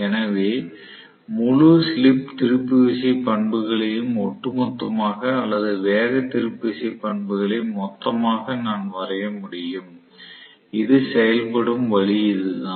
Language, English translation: Tamil, So, I can draw the entire slip torque characteristics on the whole or speed torque characteristics on whole as though this is the way it works